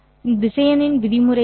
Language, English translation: Tamil, What is the norm of this vector